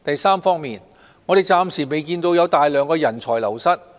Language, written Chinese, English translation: Cantonese, 三我們暫時未有看到大量的人才流失。, 3 We have not seen a large scale of brain drain for the time being